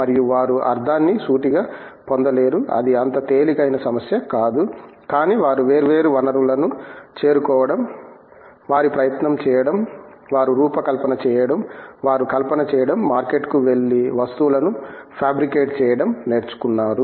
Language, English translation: Telugu, And, they do not get the sense straight, it is not that easy problem, but they have learned to reach out to different sources, put their effort, done their design, done their fabrication, even gone to the market and got the things fabricated it